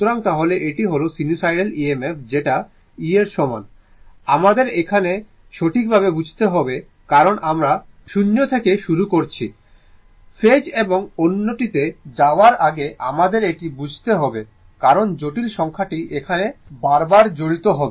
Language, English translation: Bengali, So, then this is the sinusoidal EMF that E is equal to your little bit here little bit, we have to we have to understand here right, right from the beginning that is why we have started from the scratch rather than going to the phase or another first we have to this because complex number will be involved again and again here, right